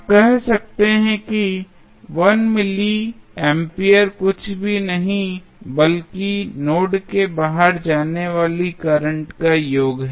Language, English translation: Hindi, So, what you can say you can say 1 milli ampere is nothing but the sum of current going outside the node